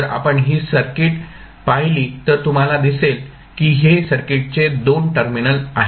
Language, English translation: Marathi, so, if you see this circuit you will see if these are the 2 terminals of the circuit